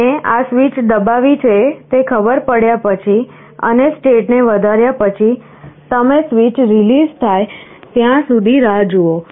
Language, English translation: Gujarati, And after this switch press is detected and you have incremented state, you wait till the switch is released